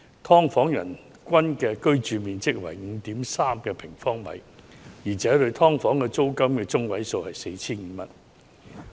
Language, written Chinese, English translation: Cantonese, "劏房"人均居所樓面面積中位數為 5.3 平方米，而"劏房"住戶每月租金中位數為 4,500 元。, The median per capita floor area of subdivided units was 5.3 sq m and the median monthly rental payment of households living in subdivided units was 4,500